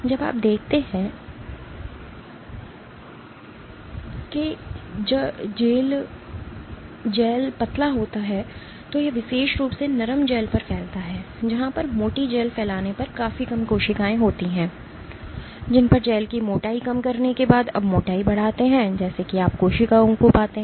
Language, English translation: Hindi, What you see is when the gel is thin this spreading on particularly on soft gels where on thick gel spreading was significantly less cells were mostly remaining rounded on as you increase the thickness after as you reduce the thickness of the gel, what you find is cells spend more and more